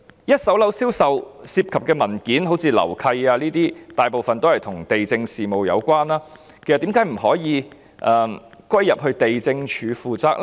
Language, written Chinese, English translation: Cantonese, 一手樓宇銷售所涉及的文件，例如樓契，其實大部分與地政事務有關，為何不可以歸入地政總署呢？, The documents involved in the sale of first - hand properties such as the title deeds are in fact mostly related to land administration . Why can such work not be handled by the Lands Department LandsD?